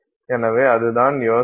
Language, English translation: Tamil, So, that is the idea